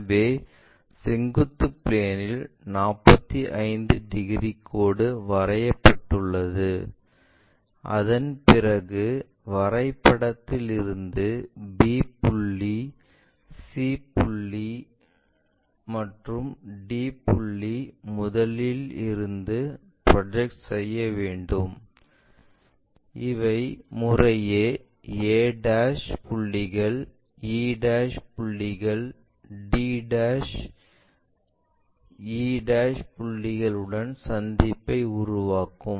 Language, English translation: Tamil, So, on the vertical plane we have that 45 degrees after drawing that we project the complete points from a point map there, b point, c point, e point and d point these are mapped to respectively a' points, c', e' points, d', e' points